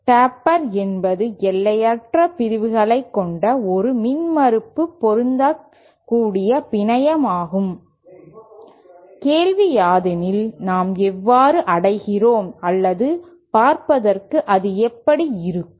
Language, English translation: Tamil, Taper is an impedance matching network which has infinite sections, the question is how we achieve or what does it physically look like